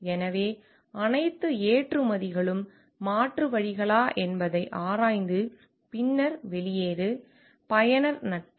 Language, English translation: Tamil, So, whether all exports have been alternatives have been explored, then exit provided, user friendliness